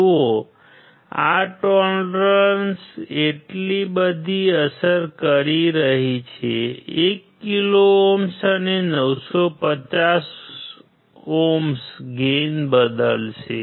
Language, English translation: Gujarati, See this tolerance is making so much of effect right; 1 thousand ohms and 950 ohms will change the gain